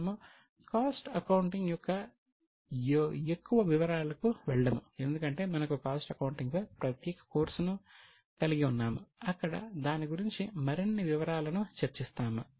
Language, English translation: Telugu, We will not go into too much details of cost accounting because we are having a separate course on cost accounting where we'll discuss further details about it